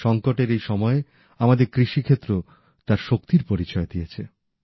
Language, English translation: Bengali, Even in this time of crisis, the agricultural sector of our country has again shown its resilience